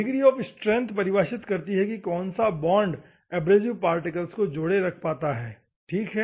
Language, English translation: Hindi, Grade means how firmly you are holding the abrasive particle specifies the grade, ok